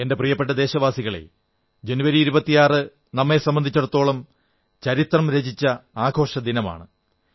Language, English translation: Malayalam, My dear countrymen, 26th January is a historic festival for all of us